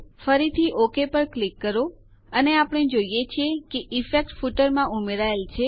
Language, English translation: Gujarati, Again click on OK and we see that the effect is added to the footer